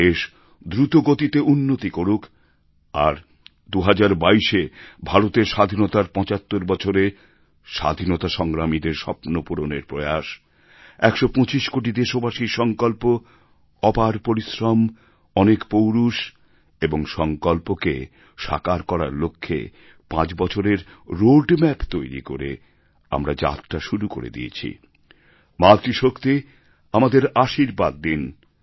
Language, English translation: Bengali, May the nation move forward and may the year two thousand twenty two 75 years of India's Independence be an attempt to realize the dreams of our freedom fighters, the resolve of 125 crore countrymen, with their tremendous hard work, courage and determination to fulfill our resolve and prepare a roadmap for five years